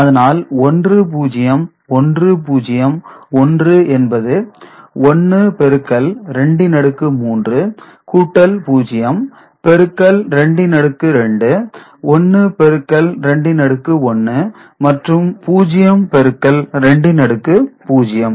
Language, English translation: Tamil, So, 1 0 1 0, 1 into 2 to the power 3 0 plus 0 into 2 to the power 2, 1 into 2 to the power 1, and 0 into 2 to the power 0